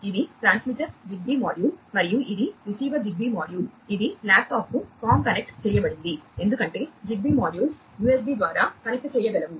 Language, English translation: Telugu, this one, is the transmitter a ZigBee module, and this is the receiver ZigBee module, which have been com connected to the laptop, because ZigBee modules can connect over USB